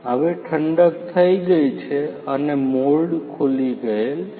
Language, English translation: Gujarati, Now the cooling is complete and the mould is open